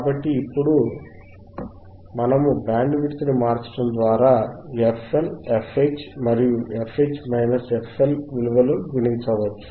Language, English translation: Telugu, So, now we can change this Bandwidth by calculating your f LL and f H, it is very easyand f H minus f L